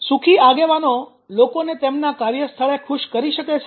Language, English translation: Gujarati, can happy leader make people happy at the work place